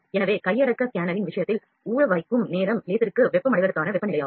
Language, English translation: Tamil, So, the soaking time in the case of handheld scanner was the temperature for the laser to get heated and get excited